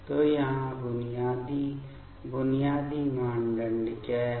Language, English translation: Hindi, So, what is the basic fundamental criteria here